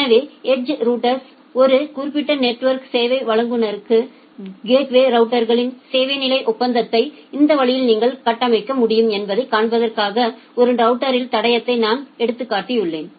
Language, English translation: Tamil, So, I have just taken the trace of a router to show you that this way you can configure the service level agreement in the edge router or the gateway routers of a specific network service provider